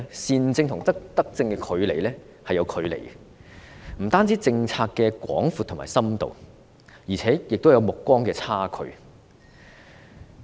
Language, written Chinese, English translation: Cantonese, 善政與德政有距離，不單在於政策的廣度和深度，亦有目光的差距。, Good governance is not in the same league as virtuous governance not just in terms of the breadth and depth of policy but also in terms of vision